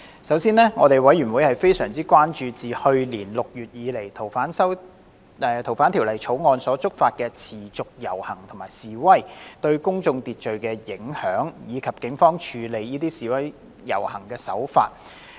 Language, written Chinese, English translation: Cantonese, 首先，事務委員會非常關注自去年6月以來，因修訂《逃犯條例》而觸發的持續遊行和示威活動，對公共秩序造成的影響，以及警方處理這些示威遊行的手法。, First of all with regard to the continued protests and rallies triggered by the proposed amendments to the Fugitive Offenders Ordinance since June last year the Panel was gravely concerned about their impact on public order and the Polices handling of such public order events